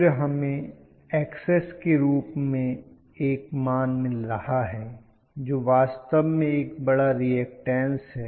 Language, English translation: Hindi, Then, we are going to have a value which is Xs which is actually a large reactance value